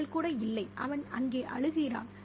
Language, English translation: Tamil, She isn't even, and he's crying there